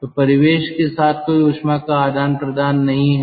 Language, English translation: Hindi, so with the ambient there is no heat exchange